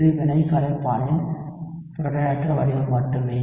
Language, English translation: Tamil, And it is only the protonated form of the reaction solvent